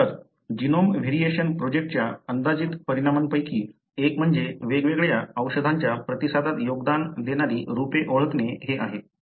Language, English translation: Marathi, So, one of the predicted outcome of the genome variation project is to identify the variants that contribute to differential drug response